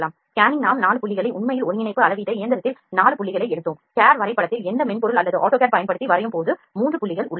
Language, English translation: Tamil, In the scanning we take 4 points actually like in coordinate measuring machine we took the 4 points, in cad drawing there are 3 points when we draw using any software or auto cad